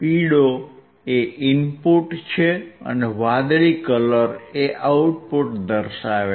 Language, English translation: Gujarati, Yellow one is your input and blue one is your output